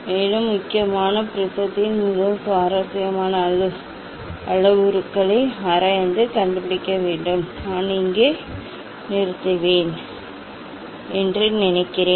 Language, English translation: Tamil, Also, mainly one has to analyze and find out the very, very interesting parameters of the prism I think I will stop here